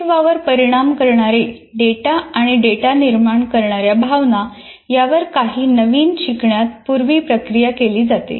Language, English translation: Marathi, And data affecting the survival and data generating emotions are processed ahead of data for new learning